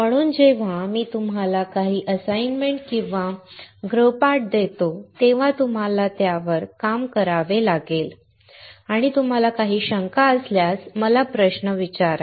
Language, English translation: Marathi, So, when I give you some assignments or homework, you have to work on them and feel free to ask me questions if you have any doubts